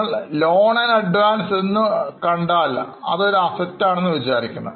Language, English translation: Malayalam, If it is a loan and advance, there is a hint to you that it is an asset